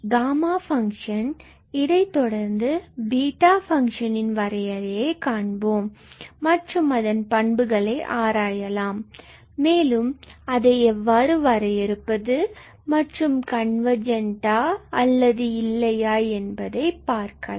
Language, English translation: Tamil, So, after gamma function we will look into the definition of beta function and we will also try to analyze its properties that how do we define also whether we can prove it is convergence or not things like that